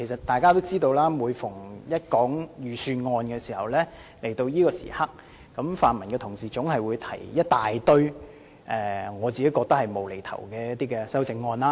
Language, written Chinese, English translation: Cantonese, 大家也知道，每年到了財政預算案的辯論環節，泛民議員總會提出大量我認為是"無厘頭"的修正案。, We are all aware that pan - democratic Members always move a large number of amendments which seem ridiculous to me at the debate session on the Governments Budget the Budget every year